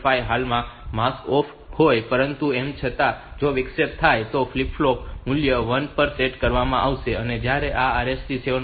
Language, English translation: Gujarati, 5 is currently masked off, but still the if the interrupt occurs that flip flop value will be set to 1 and when this RST 7